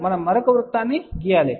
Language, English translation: Telugu, We actually draw a another circle